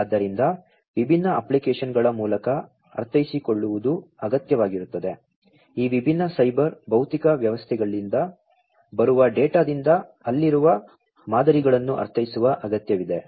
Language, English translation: Kannada, So, what is required is to interpret through different applications, it is required to interpret the patterns that are there, out of the data that are coming from these different cyber physical systems